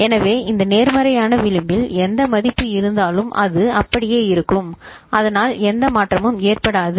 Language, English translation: Tamil, So, at this positive edge whatever is the value it will remain the same so that there is no change